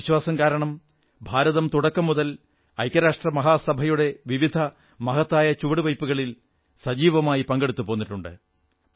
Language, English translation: Malayalam, And with this belief, India has been cooperating very actively in various important initiatives taken by the UN